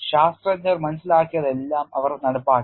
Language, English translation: Malayalam, Whatever the scientist have understood they have implemented